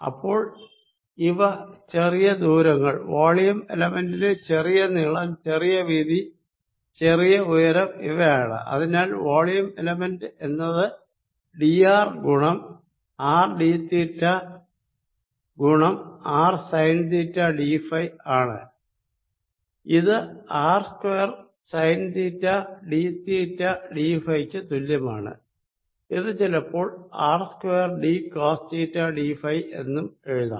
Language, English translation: Malayalam, alright, so these three are the small distances, or small height, length and width of the volume element, and therefore the volume element is nothing but d r times r d theta times r sine theta d phi, which is equal to r square sine theta d theta d phi is sometime also written as r square d cosine of theta d phi